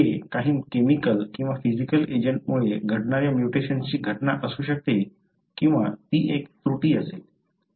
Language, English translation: Marathi, It could be mutational event happening because of some chemical or physical agent or it is an error